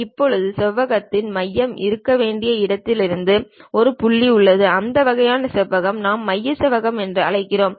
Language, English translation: Tamil, Now, there is one point from where the center of the rectangle supposed to be there, that kind of rectangle what we are calling center rectangle